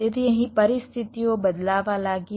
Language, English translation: Gujarati, so here the situations started to change